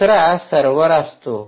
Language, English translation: Marathi, the second one is the server